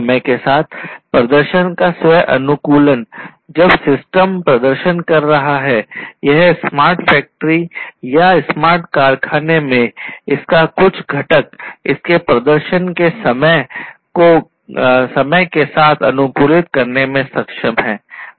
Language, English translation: Hindi, Self optimizing the performance over time when the system is performing, this smart factory or some component of it in a smart factory is able to optimize its performance over time